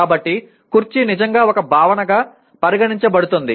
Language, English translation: Telugu, So the chair is really can be considered as a concept